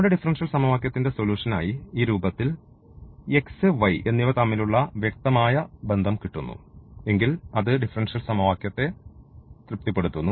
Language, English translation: Malayalam, And the in case of the implicit solution we get this relation of the x and y, relation here which satisfies the given differential equation